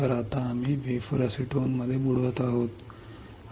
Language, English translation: Marathi, So, we are now dipping the wafer in to acetone